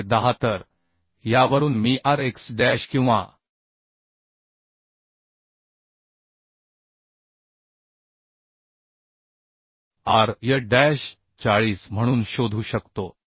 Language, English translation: Marathi, 2 tg is 10 So from this I can find out rx dash and ry dash as 40